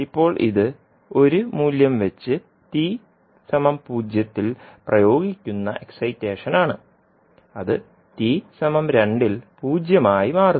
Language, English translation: Malayalam, So now this is the excitation which is applied at t is equal to zero with value one and it becomes zero at ten t is equal to two